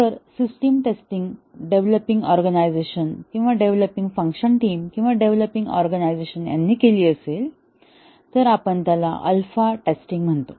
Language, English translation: Marathi, If the system testing is done by the developing organization itself, the development team or the developing organization, we call it as the alpha testing